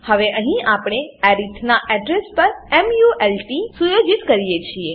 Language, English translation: Gujarati, Now, here we set mult to the address of arith